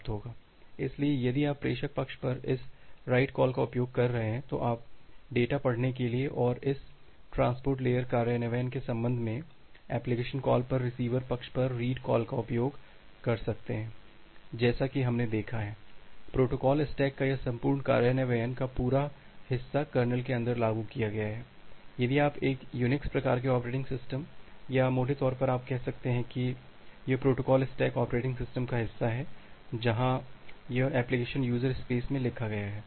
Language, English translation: Hindi, So, if you are using this write call at the sender side, then you can use the read call at the receiver side at the application to read the data and regarding this transport layer implementation, as we have seen that this entire part of the implementation of the protocol stack that is implemented inside the Kernel, if you consider an a Unix type of operating system or broadly, you can say that this protocol stack is the part of the operating system where as this application is written in the user space